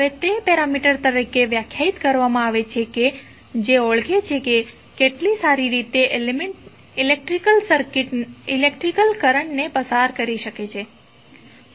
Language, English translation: Gujarati, Now, it is defined as a major of how well an element can conduct the electric current